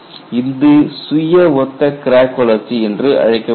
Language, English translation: Tamil, This is known as self similar crack growth